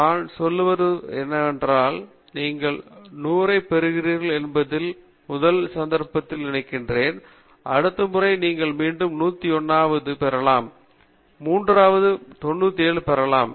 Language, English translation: Tamil, What I am trying to say is, suppose in the first case you are getting 100, and the next time you will repeat the experiment you may get a 101, in the third time you may get 97